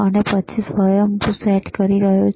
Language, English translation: Gujarati, And then he is doing the auto set